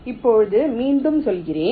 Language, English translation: Tamil, lets take another one